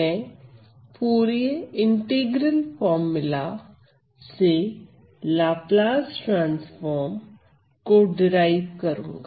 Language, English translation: Hindi, So, let me just start with the basic definition of Laplace transform